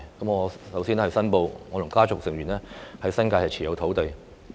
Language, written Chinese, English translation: Cantonese, 我首先要申報，我和我的家族成員在新界持有土地。, First I must make a declaration that my family members and I own some land in the New Territories